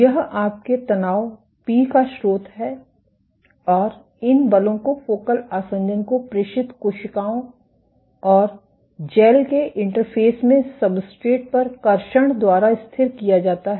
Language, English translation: Hindi, This is the source of your stress p and these forces are stabilized by traction at the substrate at the interface of cells and gels transmitted to the focal adhesion